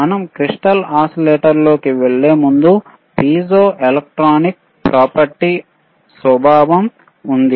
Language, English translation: Telugu, So, before we go intto the crystal oscillator, there is a property called piezoelectric property